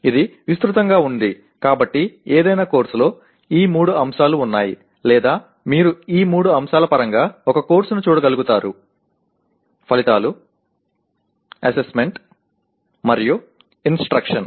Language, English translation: Telugu, That is broadly, so any course has these three elements or you should be able to view a course in terms of these three elements; outcomes, assessment, and instruction